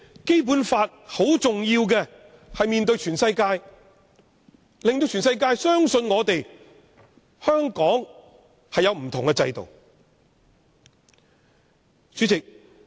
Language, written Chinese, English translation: Cantonese, 《基本法》十分重要，《基本法》面對全世界，令全世界相信香港有不同的制度。, The Basic Law is very important as it faces up to the world and makes the world believe that Hong Kong is practising a different system